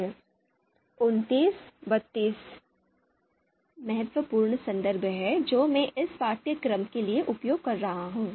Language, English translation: Hindi, These are the important references that I am using for this course